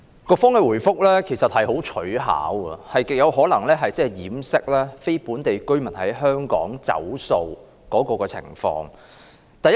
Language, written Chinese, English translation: Cantonese, 局方的答覆其實相當取巧，極有可能是要掩飾非本地居民在香港"走數"的情況。, The Bureaus reply is actually quite tricky which very likely tends to cover up the situation of non - local residents defaulting on payment in Hong Kong